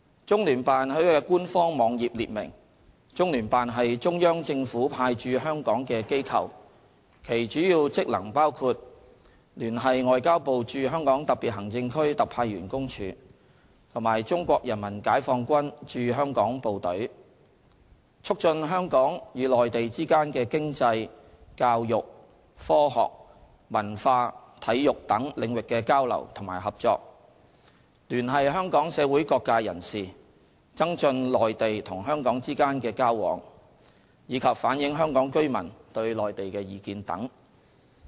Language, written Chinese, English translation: Cantonese, 中聯辦在其官方網頁列明，中聯辦是中央政府派駐香港的機構，其主要職能包括：聯繫外交部駐香港特別行政區特派員公署和中國人民解放軍駐香港部隊；促進香港與內地之間的經濟、教育、科學、文化、體育等領域的交流與合作；聯繫香港社會各界人士，增進內地與香港之間的交往；以及反映香港居民對內地的意見等。, As stated in its official website CPGLO is an office set up by CPG in HKSAR . Its main functions include liaising with the Office of the Commissioner of the Ministry of Foreign Affairs of the Peoples Republic of China in HKSAR and the Hong Kong Garrison of the Chinese Peoples Liberation Army; promoting economic educational scientific and technological cultural and athletic exchanges and cooperation between Hong Kong and the Mainland; liaising with various sectors of the community of Hong Kong to enhance exchanges between the Mainland and Hong Kong; and reflecting the views of Hong Kong residents on the Mainland etc